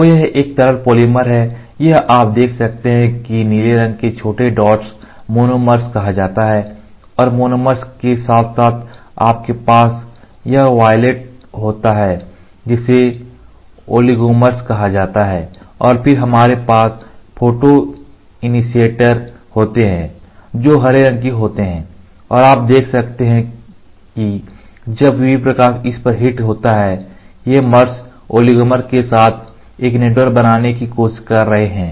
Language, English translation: Hindi, So, this is a liquid polymer, this is you can see blue small small dots are called as monomers and along with the monomers you have this violet one are called as oligomers and then we have photoinitiators which are green and when the UV light hits on it you can see these mers are trying to form a network with oligomer